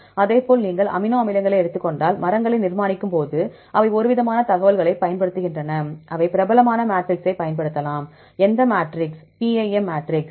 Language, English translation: Tamil, Likewise if you take the amino acids, when we construct trees, right they also use some sort of information for example, they can use a popular matrix, which matrix